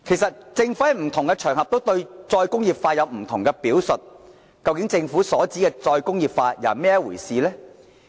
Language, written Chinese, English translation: Cantonese, 政府在不同場合對再工業化有不同的表述，究竟政府所指的再工業化是怎麼一回事呢？, The Governments descriptions of re - industrialization vary in different occasions so what exactly does the Government mean by re - industrialization? . What kind of blueprint is there?